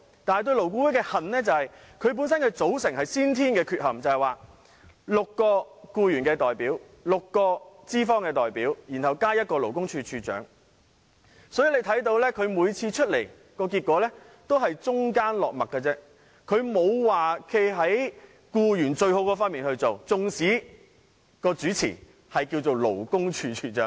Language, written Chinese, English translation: Cantonese, 但是，對勞顧會的恨，是因為其組成有先天缺憾，勞顧會由6名僱員代表、6名資方代表，再加勞工處處長組成，可想而知，勞顧會每次的商討結果都只是中間落墨，不會對僱員最有利，縱使主持的是勞工處處長。, However I hate LAB because of the inherent defect of its composition . LAB is composed of six employee representatives six employer representatives and the Commissioner for Labour . One can thus see that the results of LABs discussions will be middle - of - the - road in nature which will never be in the best interest of the employees even though LAB is chaired by the Commissioner for Labour